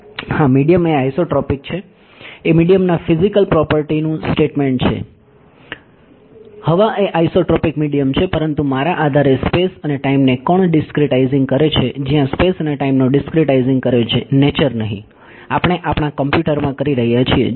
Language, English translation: Gujarati, Yes, the medium is the isotropic is a statement of the physical properties of the medium air is isotropic medium, but by virtue of me discretizing space and time where who is discretizing space and time not nature we are doing it in our computer